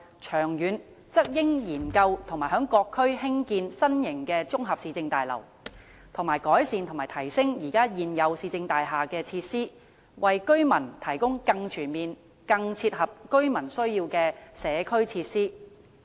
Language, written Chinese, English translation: Cantonese, 長遠則應研究在各區興建新型綜合市政大樓，以及改善和提升現有市政大廈的設施，為居民提供更全面、更切合居民需要的社區設施。, In the long run it should conduct studies on building new municipal services complexes in various districts and improve and enhance the facilities of existing municipal services buildings so as to provide residents with more comprehensive community facilities which will better suit their needs